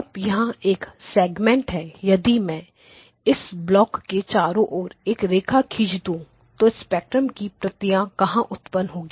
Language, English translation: Hindi, Now this is the segment if I were to draw a line around this block this is where the copies of the spectrum are getting generated